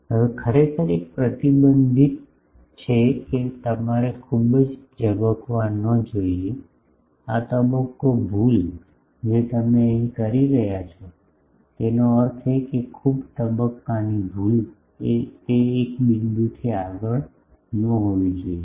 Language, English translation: Gujarati, Now, actually there is a restriction that you should not flare very much that this phase error that you are committing here; that means, this much phase error, that should not go beyond a point